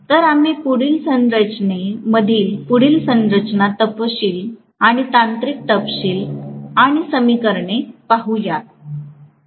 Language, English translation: Marathi, So, we look at the further constructional details and technical details and equations in the next class